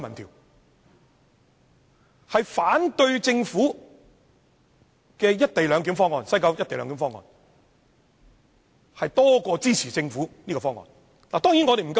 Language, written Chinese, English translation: Cantonese, 結果顯示，反對政府西九"一地兩檢"方案比支持政府方案的還要多。, The findings show that those against the co - location arrangement at the West Kowloon Station have outnumbered those who support it